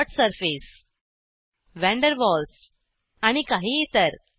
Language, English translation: Marathi, Dot Surface van der Waals and some others